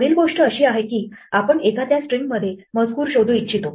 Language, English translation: Marathi, The next thing that may we want to do is to look text in a string